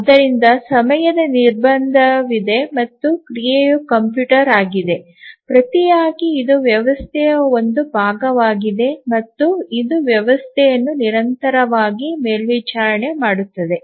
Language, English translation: Kannada, So, there is a time constraint and the action and also the computer is part of the system and it continuously monitors the system